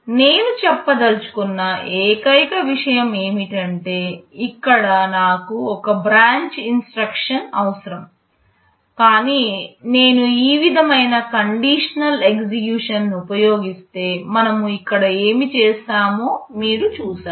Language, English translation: Telugu, The only thing that I want to say is that, here I am requiring one branch instruction, but if I use the conditional variety of implementation like this, you see what we have done here